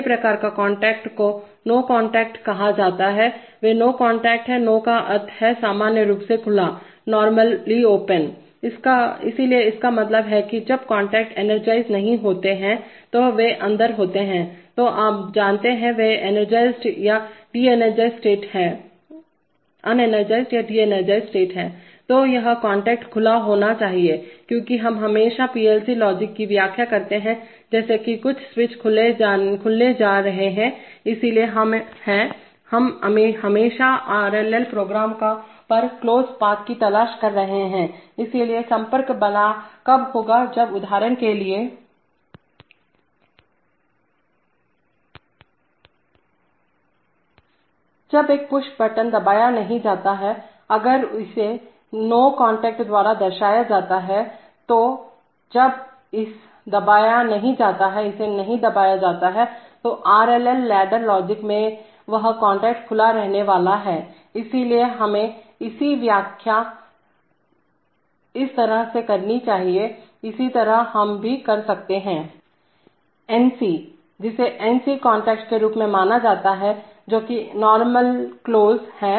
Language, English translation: Hindi, The first kinds of contacts are called not no contacts, they are NO contacts, NO means normally open, similarly, so this means that, when the contacts are not energized or they are in the, you know, they are unexcited or de energized States, then this contacts should be as should be assumed to be open, because we always interpret PLC logic as if some switch is going to open, so we are, we are always looking for closed paths on the RLL programs, so when the, when that, contact will, for example, When a push button is not pressed, if it is represented by an NO contact, then when it is not pressed, that, that contact in the RLL ladder logic is going to remain open, so we must interpret it that way, similarly we might have An, what is known as NC contact where NC stands for normally closed, so the same push button, if were present it by an NC contact then if the push button is not pressed, that is when it is not excited that contact will remain closed, so we must interpret it that way in the PLC logic, when we try to see whether there is a continuous path from the, from the positive rail to the output coil positive end, so it is open when energized and it is closed when de energized